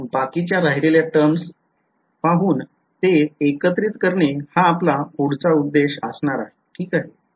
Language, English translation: Marathi, So, next we will look at the remaining terms and put them all together